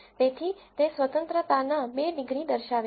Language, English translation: Gujarati, So, it displays two degrees of freedom